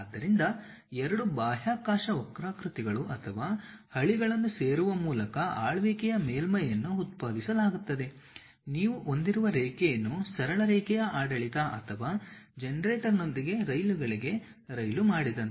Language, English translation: Kannada, So, a ruled surface is generated by joining two space curves or rails is more like a trains the rails what you have with a straight line ruling or generator